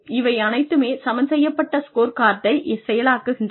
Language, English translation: Tamil, All of these things then drive the balanced scorecard